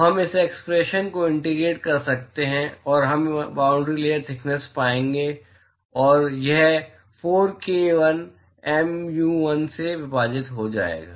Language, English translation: Hindi, So, we can integrate this expression and we will find the bound layer thickness and that will turn out to be 4 times k l mu l divided by